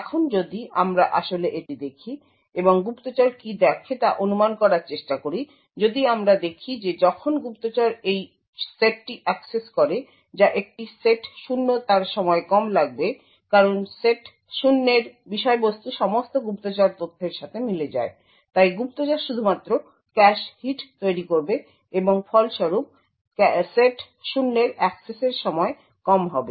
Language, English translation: Bengali, Now if we actually look at this and try to infer what the spy sees, if we would see that when the spy accesses this set that is a set 0 the time taken would be less because the contents of set 0 corresponds to all spy data and therefore the spy would only incur cache hits and as a result the access time for set 0 would be low